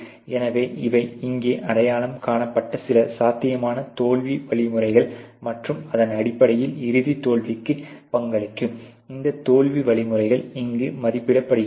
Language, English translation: Tamil, So, these are some of the potential failure mechanisms which are identified here and based on that the occurrence of these failure mechanisms contributing to the final failure ok is being rated here